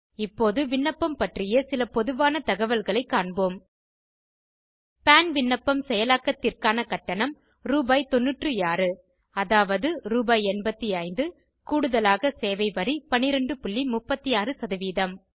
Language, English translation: Tamil, Now we will discuss some general information regarding the application The fee for processing PAN application is Rs.96.00 i.e Rs 85.00 + 12.36% service tax